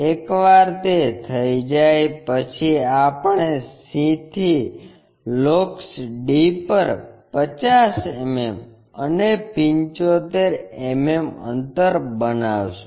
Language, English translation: Gujarati, Once that is done, we have to make 50 mm and 75 mm distances on locus d from c